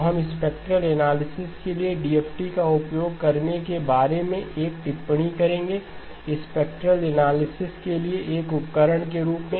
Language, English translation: Hindi, So we will make a comment about using DFT for filter for spectral analysis, as a tool for spectral analysis